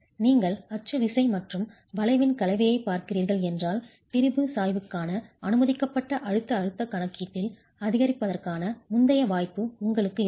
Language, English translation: Tamil, In case you are looking at a combination of axial force and bending, then you have you had the earlier possibility of an increase in the permissible compressive stress accounting for the strain gradient